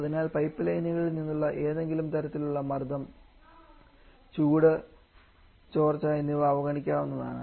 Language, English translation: Malayalam, So, a neglecting any kind of pressure drop and heat leakage from the pipelines